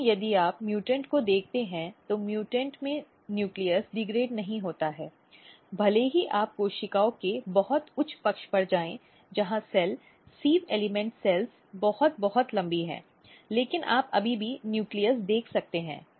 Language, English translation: Hindi, But if you look the mutant in mutant what happens that nucleus is not degraded even if you go to the very higher side of the cells where cell, sieve element cells are very very long, but you can still see the nucleus